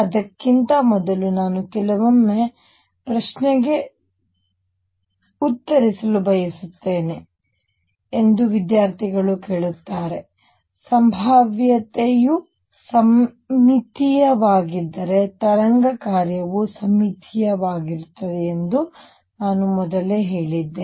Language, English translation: Kannada, Way before that I just want to answer a question sometimes a student’s ask that earlier I had told you that the wave function is symmetric if the potential is symmetry